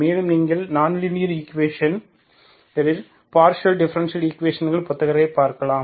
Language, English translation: Tamil, And also you can look into the books, partial differential equation book, on nonlinear equations, okay